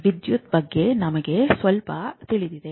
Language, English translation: Kannada, So, what do you know about electricity